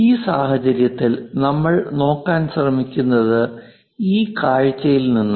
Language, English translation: Malayalam, In this case, what we are trying to look at is from this view we are trying to look at